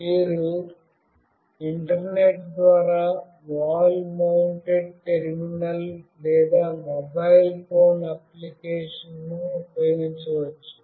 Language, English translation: Telugu, You can use a wall mounted terminal or a mobile phone application, over the Internet